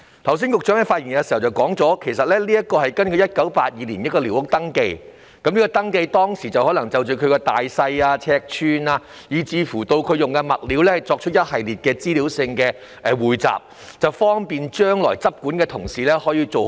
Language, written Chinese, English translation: Cantonese, 局長在剛才的發言中指出，這是根據1982年進行的一項寮屋登記而訂定，當時可能旨在就大小、尺寸以至所用物料作出一系列的資料匯集，方便日後的執管同事跟進。, As pointed out by the Secretary in his speech just now they are based on the territory - wide 1982 Squatter Control Survey which probably aimed at compiling a series of information on the size dimensions and materials used back then to facilitate follow - up actions by enforcement officers in future